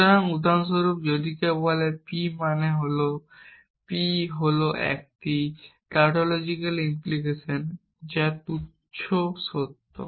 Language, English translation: Bengali, So, for example, if somebody says p implies p is a tautological implication which is trivially true